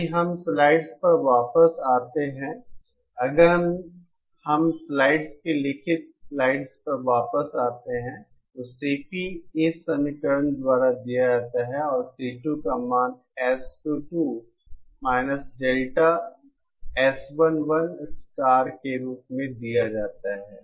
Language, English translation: Hindi, If we come back to the slides on the, if we come back to the slides, written slides, the CP is given by this expression and the value of C2 is given as S22 Delta S11 star